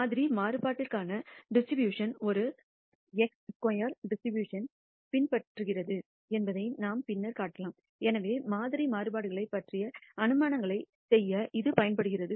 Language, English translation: Tamil, We can show later that the distribution for sample variance follows a chi square distribution and therefore, it is used to make inferences about sample variances